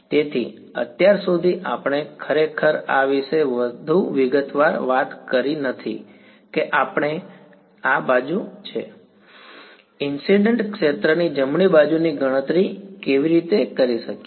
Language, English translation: Gujarati, So, so far we have not really spoken too much in detail about this how do we calculate this right hand side E I the incident field right